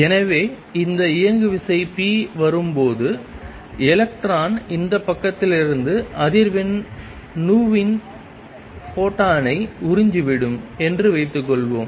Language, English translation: Tamil, So, when this momentum p is coming in and suppose the electron absorbs a photon of frequency nu from this side